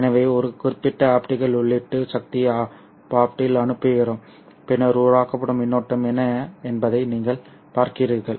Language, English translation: Tamil, So we send in a certain optical input power P Opt and then you are looking at what would be the current that is generated